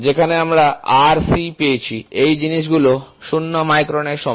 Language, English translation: Bengali, So, same thing where we got Rz is equal to 0 microns